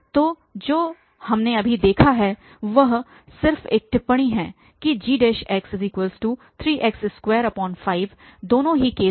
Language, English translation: Hindi, So, what we have seen now just a remark that g prime was 3x square by 2 in both the cases